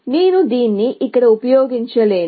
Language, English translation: Telugu, I cannot use this here